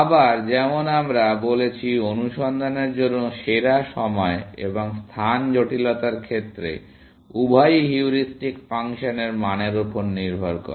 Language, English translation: Bengali, Again, like we said in case of best for search, time and space complexity, both depend upon the quality of the heuristic function